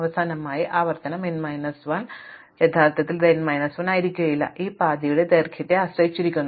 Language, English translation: Malayalam, And finally, iteration n minus 1 actual it may not be n minus 1 is depends on the length of this path